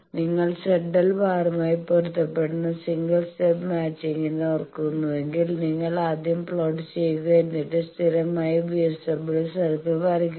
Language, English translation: Malayalam, So, let us see that again determine single step matching if you remember single step matching that Z L bar you first plot then draw the constant VSWR circle as we have done that this is the Z L bar